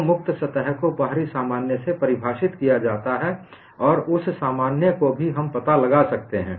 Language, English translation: Hindi, So, free surface is defined by outward normal and that normal also we can find out